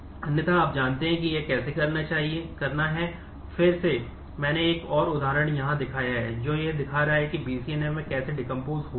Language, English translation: Hindi, Otherwise you know how to do this; again I have shown another example here which is showing that how to decompose in BCNF